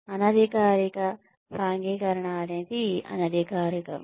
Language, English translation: Telugu, Informal socialization, that is informal